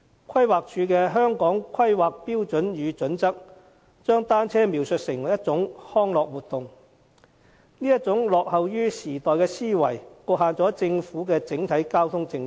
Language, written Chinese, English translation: Cantonese, 規劃署的《香港規劃標準與準則》，將單車描述為一種康樂活動，這種落後於時代的思維，局限了政府的整體交通政策。, According to the Hong Kong Planning Standards and Guidelines of the Planning Department cycling is a recreational activity . The overall transport policy of the Government is confined by this antiquated mindset